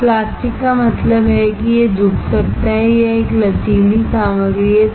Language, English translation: Hindi, Now, plastic means it can bend and it is a flexible material